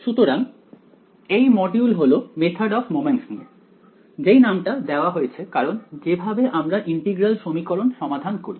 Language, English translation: Bengali, So this module is going to be about the method of moments which is the name given to the way in which we solve the integral equations